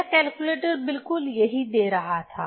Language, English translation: Hindi, So, exactly this my calculator was giving this one